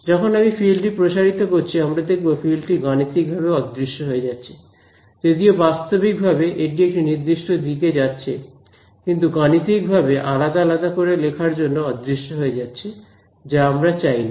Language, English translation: Bengali, And when I propagate this field, we will see in this course that that field begins to mathematically disperse,; physically its going in one direction, but mathematically because of this discretization it begins to disperse which we do not want